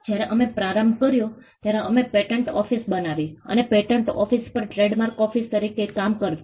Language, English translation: Gujarati, When we started off, we created a patent office and the patent office also acted as the trademark office